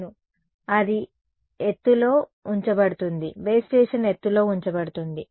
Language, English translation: Telugu, Yeah, it is kept at a height the base station is kept at a height